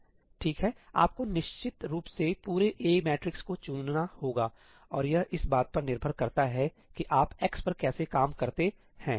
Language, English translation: Hindi, Well, you definitely have to pick up the entire A matrix and it depends on how you work on x